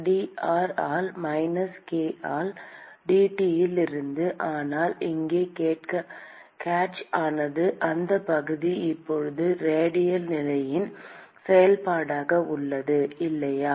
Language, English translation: Tamil, Minus k into A into dT by dr, but the catch here is that area is now a function of the radial position, right